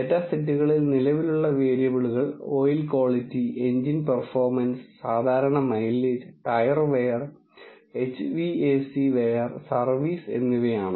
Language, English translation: Malayalam, And variables that are present in the data sets are oil quality, engine performance, normal mileage, tyre wear, HVAC wear and service